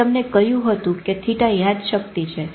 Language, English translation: Gujarati, I told you theta is memory